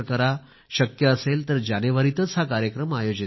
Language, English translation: Marathi, If possible, please schedule it in January